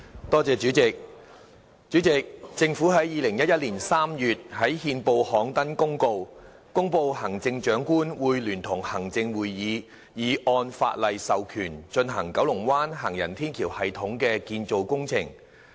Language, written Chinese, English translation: Cantonese, 代理主席，政府在2011年3月在憲報刊登公告，公布行政長官會同行政會議已按法例授權進行九龍灣行人天橋系統的建造工程。, Deputy President the Government announced by notice published in the Gazette in March 2011 that the Chief Executive in Council had authorized under the law the construction works of an elevated walkway system in Kowloon Bay